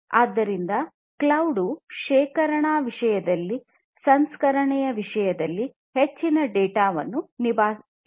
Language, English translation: Kannada, So, cloud is going to handle so much of data in terms of storage, in terms of processing and so on